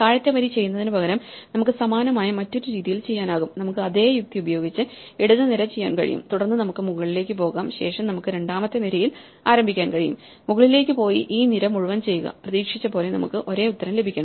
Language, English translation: Malayalam, So, we could also do the same thing in a different way instead of doing the bottom row, we can do the left column and the same logic says, that we can go all the way up then we can start in the second column, go all the way up and do this column by column and not unexpectedly, we should get the same answer